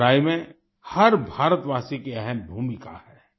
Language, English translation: Hindi, Every Indian has an important role in this fight